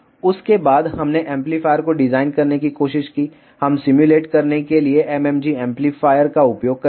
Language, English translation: Hindi, After that we tried to design the amplifier, we use the MMG amplifier to simulate